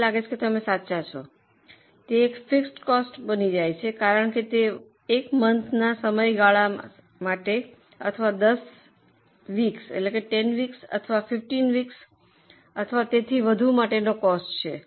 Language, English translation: Gujarati, I think you are right, it becomes a fixed cost because it becomes a cost for a period for one month or for 10 weeks or for 15 weeks or so on